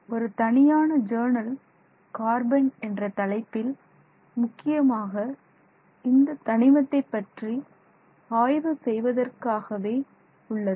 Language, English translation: Tamil, There is even a separate journal which is titled carbon and that deals exclusively with research on this element